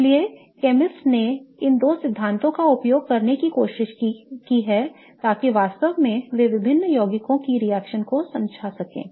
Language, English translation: Hindi, So, chemists have tried to use these two theories to really explain the reactivity of various compounds